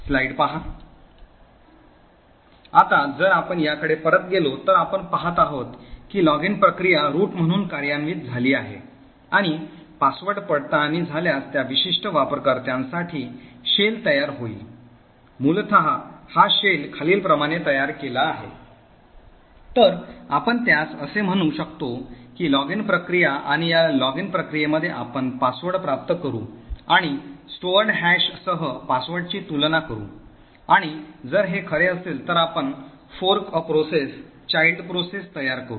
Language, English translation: Marathi, Now if we go back to this what you see is that the login process executes as root and was the password is verified it will then create a shell for that particular user, so essentially this shell is created something as follows, so you would have let us say the login process and within this login process you obtain the password and compare the password with the stored hash and if this is true, then we fork a process, the child process